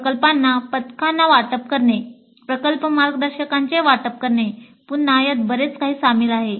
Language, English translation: Marathi, Then allocating projects to batches, allocating project guides, again this is quite involved